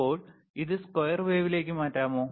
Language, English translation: Malayalam, Now, can you change it to square wave please